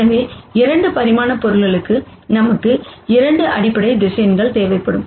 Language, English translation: Tamil, So, for a 2 dimensional object we will need 2 basis vectors